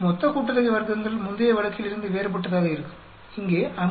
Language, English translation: Tamil, Total sum of squares will be different from previous case, here 52